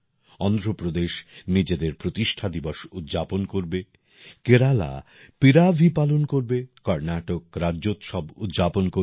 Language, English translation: Bengali, Andhra Pradesh will celebrate its foundation day; Kerala Piravi will be celebrated